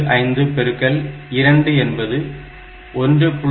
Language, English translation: Tamil, 75 into 2 that will make it 1